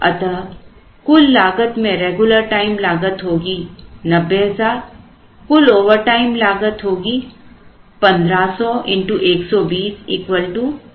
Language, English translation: Hindi, So, total cost will be a regular time cost will be 9,00,000 total overtime cost will be 1,500 into 128 and 80,000